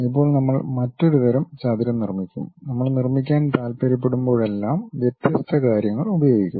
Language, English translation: Malayalam, Now, we will go and create another kind of rectangle whenever we would like to construct different things we use